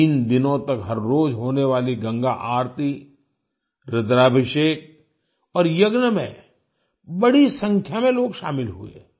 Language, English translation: Hindi, A large number of people participated in the Ganga Aarti, Rudrabhishek and Yajna that took place every day for three days